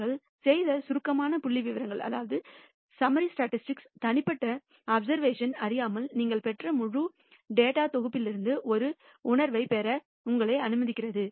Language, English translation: Tamil, Summary statistics that we do numerically allows you to get a feel for the entire data set that you have obtained without knowing the individual obser vations